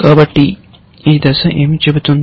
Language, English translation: Telugu, So, what does this step say